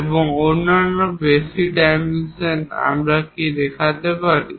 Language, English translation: Bengali, And the other basic dimensions, what we can see is here this